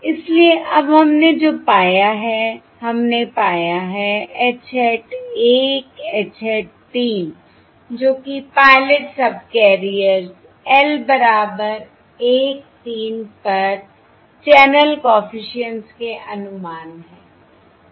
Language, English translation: Hindi, So therefore, now what we have found is we have found capital H hat 1, H hat 3, which are the estimates of the channel coefficients on the pilot subcarriers